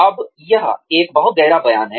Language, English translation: Hindi, Now, this is a very profound statement